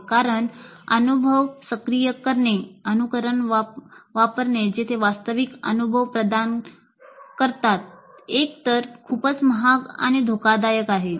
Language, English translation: Marathi, And activating new experiences, use simulation where providing real experiences is either too expensive or too risky